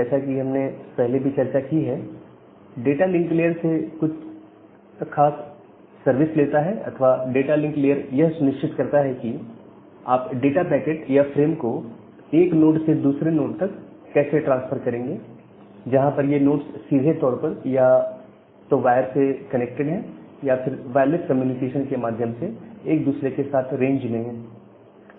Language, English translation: Hindi, So, this network layer as we discussed earlier that from data link layer it gets certain services, or the data link layer it ensures that well how will you transfer a data packet or a frame in the terms of data link layer; from one node to the next node which is directly connected via wire or there in the communication range or wireless communication range of each other